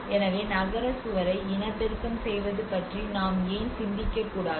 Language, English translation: Tamil, So why not we can think of reproducing of the city wall